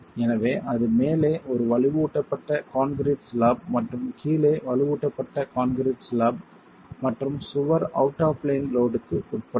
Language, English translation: Tamil, So, it could be a reinforced concrete slab at the top and the reinforced concrete slab at the bottom and wall is subjected to an out of plain load